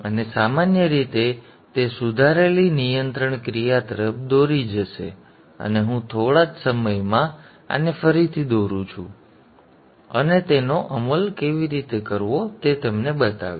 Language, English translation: Gujarati, So how do we implement such a controller and generally that will lead to a improved control action and I will just in a short while redraw this and show you how to implement that